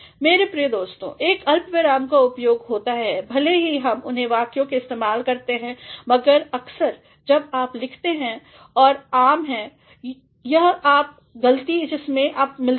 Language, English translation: Hindi, My dear friends, a comma is used though we use in use them in sentences, but at times when you are writing and this is very common; the common mistake that we come across